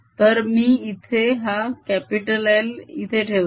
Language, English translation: Marathi, so i am going to put an l out here